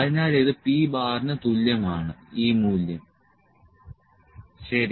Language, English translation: Malayalam, So, this is equal to p bar this value, ok